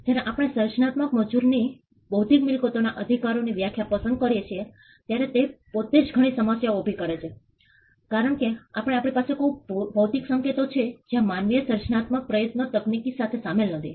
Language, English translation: Gujarati, When we pick the definition of intellectual property right to human creative Labour that itself creates some problems because, we have today something called geographical indications where no human creative effort is technically involved